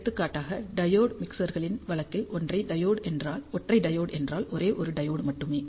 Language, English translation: Tamil, For example, in case of diode mixers single diode is only one diode